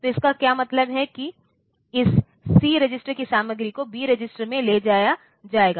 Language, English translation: Hindi, So, what it means the content of this C register will be moved to the B register